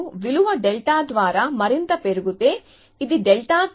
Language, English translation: Telugu, So, if you increase further by a value delta, this is delta